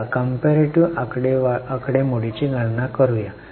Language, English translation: Marathi, Let us do the calculation of comparative figures